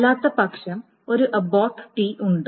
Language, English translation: Malayalam, Otherwise, there is an abort T